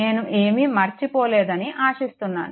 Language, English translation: Telugu, Hope I have not missed anything right